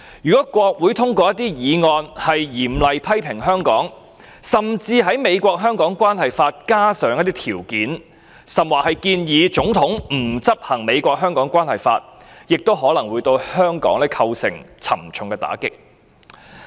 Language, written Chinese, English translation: Cantonese, 如果國會通過一些議案嚴厲批評香港，甚至在《美國―香港政策法》加入條件，甚或建議總統不執行《美國―香港政策法》，可能會對香港構成沉重的打擊。, It can control the fate of Hong Kong at any time . Hong Kong may suffer a heavy blow if the United States Congress passes motions to condemn Hong Kong or adds terms in the United States - Hong Kong Policy Act or advises the United States . President not to execute the United States - Hong Kong Policy Act